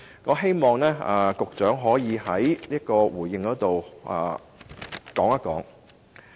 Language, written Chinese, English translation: Cantonese, 我希望局長稍後可以回應。, I hope the Secretary can give a reply later on